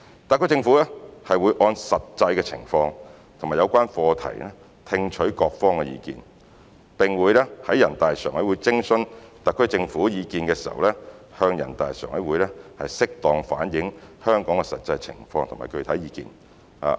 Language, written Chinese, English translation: Cantonese, 特區政府會按實際情況及有關課題聽取各方意見，並會在人大常委會徵詢特區政府意見時向人大常委會適當反映香港的實際情況及具體意見。, The HKSAR Government will listen to the views of different sectors having regard to actual circumstances and the subject matter concerned and will duly reflect the actual situation in Hong Kong and specific views when being consulted by NPCSC